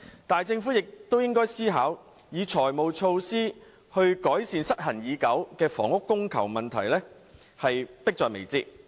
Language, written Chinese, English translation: Cantonese, 但是，政府亦應考慮以財務措施改善失衡已久的房屋供求問題，此事迫在眉睫。, That said the Government should also consider using financial measures to ameliorate the long - standing imbalance between housing supply and demand which is a pressing issue